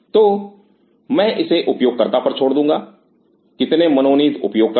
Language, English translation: Hindi, So, I will leave it up to the user how many designated users